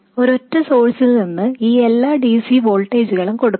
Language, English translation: Malayalam, You have to obtain all these DC voltages from a single source